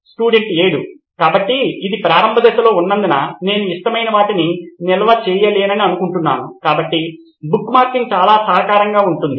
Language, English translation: Telugu, So since this is at initial stages I think I am not able to stores the favourites, so bookmarking will be very helpful